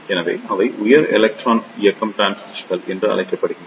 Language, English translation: Tamil, So, here is a structure of high electron mobility transistor